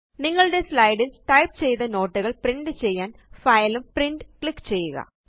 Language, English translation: Malayalam, To print your notes, which you typed for your slides, click on File and Print